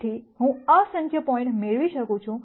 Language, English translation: Gujarati, So, I can get infinite number of points